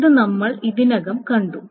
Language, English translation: Malayalam, This we have already seen